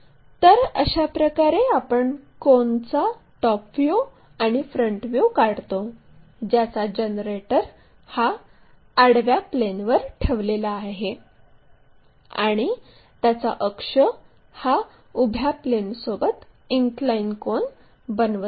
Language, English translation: Marathi, This is the way we draw top view and front view of a cone whose generator is resting on the horizontal plane and its axis is making an inclination angle with the vertical plane